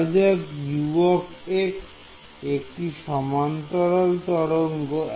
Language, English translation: Bengali, Supposing I give you U x is the plane wave